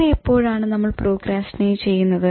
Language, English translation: Malayalam, Why do we procrastinate